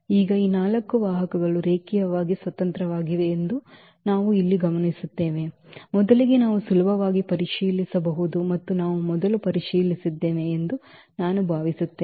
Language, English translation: Kannada, So now, we will notice here that these vectors are linearly independent; first that we can easily check out and we have I think checked before as well